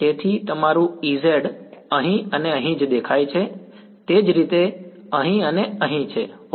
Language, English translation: Gujarati, So, your E z is appearing here and here similarly here and here ok